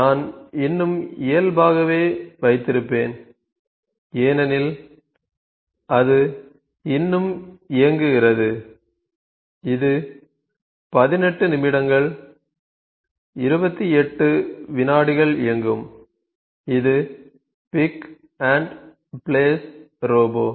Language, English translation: Tamil, So, I will keep it default only, so it is still running it is run for 18 minutes and 28 seconds so this is pick and place robot